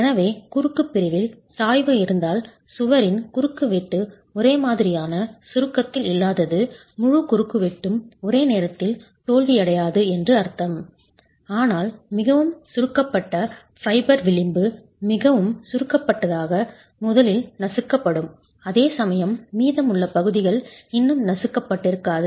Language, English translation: Tamil, So, when you have a gradient in the cross section, then you have a gradient in the cross section, the wall cross section not being in uniform compression would mean that the entire cross section will not fail at the same instant, but most compressed fiber, the edge that is most compressed would crush first whereas the rest of the sections would have wouldn't have crushed yet